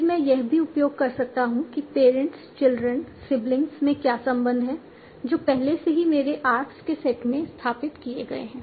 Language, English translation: Hindi, Then I might also use what are the parents, children, sibling depending on what relations have already been established in my set of parks